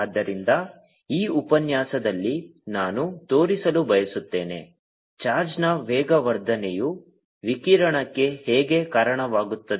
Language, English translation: Kannada, so now what we want to show is: and accelerating charge gives out radiation